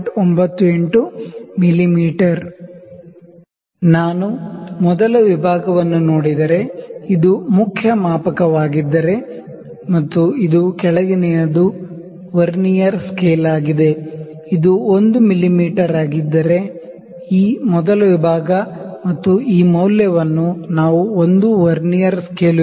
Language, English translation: Kannada, This implies that if I see the first division, if this is the main scale, if this is the main scale and this is our Vernier scale below, if this is 1 mm, this first division and this value we can say one Vernier scale division is equal to 0